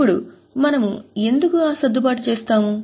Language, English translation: Telugu, Now why do we make that adjustment